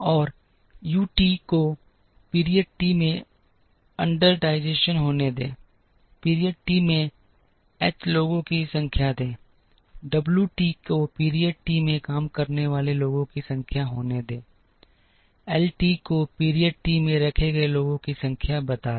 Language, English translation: Hindi, And let U t be the under utilization in period t, let H t number of people hired in period t, let W t be the number of people working in period t, let L t be the number of people laid off in period t